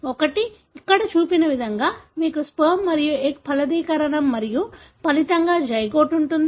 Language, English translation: Telugu, One is, for example as shown here, you have sperm and egg fertilizing and resulting in a zygote